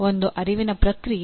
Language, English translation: Kannada, One is the cognitive process